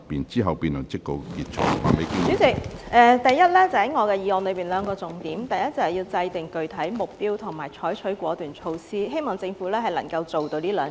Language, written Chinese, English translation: Cantonese, 主席，第一，我的議案有兩個重點，就是要制訂具體目標和採取果斷措施，希望政府能夠做到這兩點。, President first there are two key points in my motion which are to formulate specific targets and adopt decisive measures . I hope the Government can achieve these two points